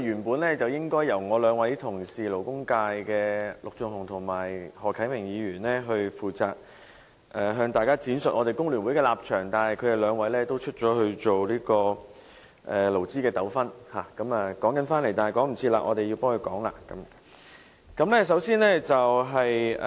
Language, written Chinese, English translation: Cantonese, 本來，應由我們勞工界的陸頌雄議員和何啟明議員負責向大家闡述我們工聯會的立場，但由於他們兩位出外處理勞資糾紛，來不及出席，所以便由我們代他們發言。, Initially Mr LUK Chung - hung and Mr HO Kai - ming from the labour sector would be responsible for explaining the position of The Hong Kong Federation of Trade Unions FTU to Members . But since the two Members have gone out to handle a labour dispute and are unable to attend the meeting in time we will speak on their behalf